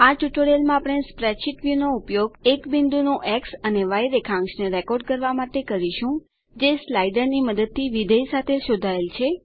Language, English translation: Gujarati, In this tutorial we will use the spreadsheet view to Record the X and Y coordinates of a point, traced along the function by using a slider